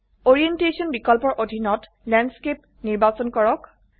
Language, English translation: Assamese, Under the Orientation option, let us select Landscape